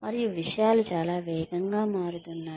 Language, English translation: Telugu, And, things are changing, so fast